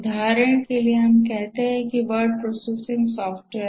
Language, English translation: Hindi, For example, let's say a word processing software